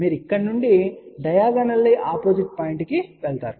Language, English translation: Telugu, You take from here you take go to a diagonally opposite point